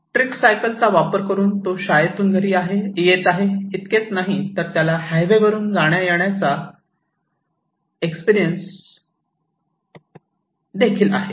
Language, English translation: Marathi, So, what is that he is going and coming from school and home by tricycle, not only that he has the experience that he used to go through highways